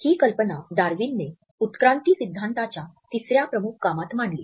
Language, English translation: Marathi, This idea was presented by Darwin in his third major work of evolutionary theory